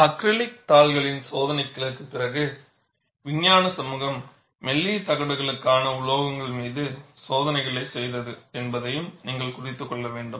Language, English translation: Tamil, And you should also note, after the tests on acrylic sheets, the scientific community did tests on metals, that were for thin plates